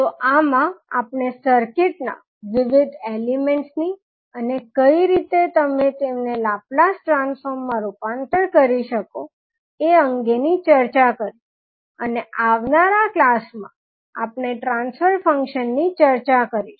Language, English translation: Gujarati, So, in this we discussed about various circuit elements and how you can convert them into Laplace transform and we will talk about now the transfer function in the next class, thank you